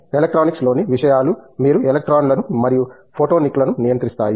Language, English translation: Telugu, Where things in electronics you control electrons and photonics you control photons